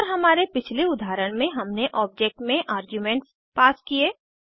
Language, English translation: Hindi, And in our previous example we have passed the arguments within the Object